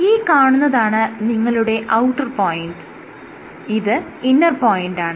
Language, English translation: Malayalam, So, this is your outer point, this is your inner point